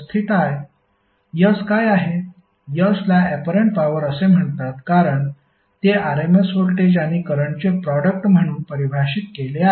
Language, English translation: Marathi, S is called as apparent power because it is defined as a product of rms voltage and current